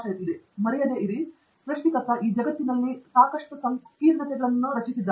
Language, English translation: Kannada, Always remember, the creator has enough made sure that there are enough complexities in this world